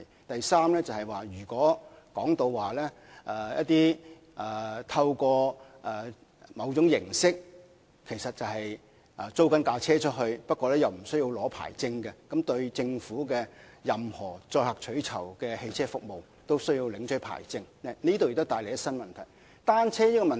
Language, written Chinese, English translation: Cantonese, 第三是如可透過某種形式租借汽車而不用領取任何牌照，那麼對於任何載客取酬的汽車服務都要領取牌照的政府政策，也會帶來新的問題。, Third if no hire car permits are required for the cars hired out through a certain operating mode then there will be new problems for the Governments policy of requiring a hire car permit for all vehicles in the business of carrying passengers for hire or reward